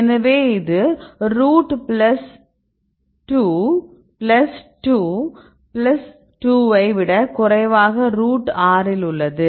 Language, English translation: Tamil, So, there is very this is less than root 2 plus 2 plus 2 there is the root 6 right